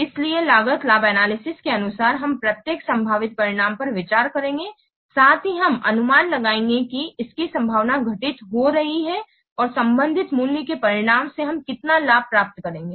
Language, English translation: Hindi, So, according to cost benefit analysis, we will consider each possible outcome also will estimate the probability of its occurring and the corresponding value of the outcome, how much benefit we will get the corresponding value